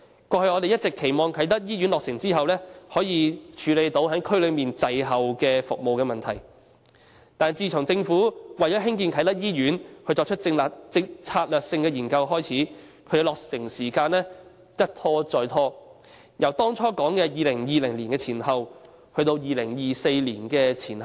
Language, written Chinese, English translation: Cantonese, 我們過去一直期望啟德醫院落成後，可以處理區內服務滯後的問題，但自政府為興建啟德醫院所作的策略性研究開展後，其落成時間一拖再拖，由當初所說的2020年前後，變為2024年前後。, All along we have expected the Kai Tak Hospital to deal with the lag in the provision of services in the region upon its completion . However since the Governments strategic study on the construction of the Kai Tak Hospital commenced its completion time has been repeatedly postponed being revised from around 2020 as originally stated to around 2024